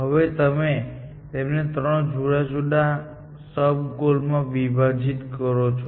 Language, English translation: Gujarati, Now, you are going to break it up into three separate sub goals